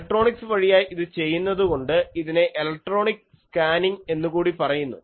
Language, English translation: Malayalam, So, since this is done electronically, it is also called electronic scanning